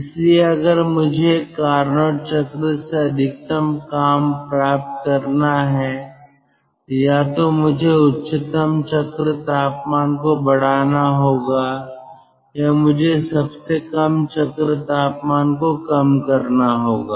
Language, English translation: Hindi, so if i have to derive ah maximum amount of work from a carnot cycle, so either i have to ah increase the highest cycle temperature or i have to decrease the lowest cycle temperature